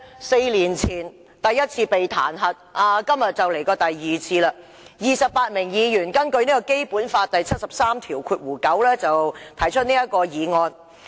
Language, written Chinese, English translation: Cantonese, 四年前，第一次被彈劾，今天已是第二次 ，28 名議員根據《基本法》第七十三條第九項提出議案。, Four years ago he was impeached the first time . Today is the second time . Twenty - eight Members have jointly initiated this impeachment motion in accordance with Article 739 of the Basic Law